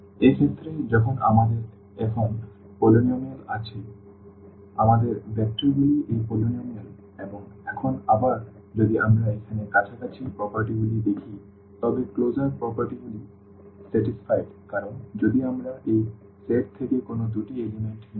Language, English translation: Bengali, So, in this case when we have polynomials now so, our vectors are these polynomials and now, again if we look at the closer properties here, but the closure properties are satisfied because if we take any two elements from this set